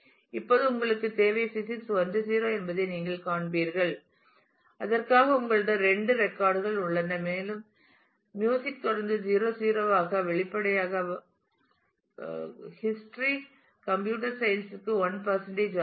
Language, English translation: Tamil, Now, you will find that you need to you now have physics is 1 0 and you have two records for that and music is continues to be 0 0 ah; obviously, history is 1 1 same as computer science